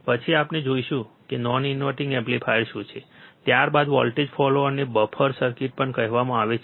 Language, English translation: Gujarati, Then we will look at what a non inverting amplifier is, followed by a voltage follower also called buffer circuit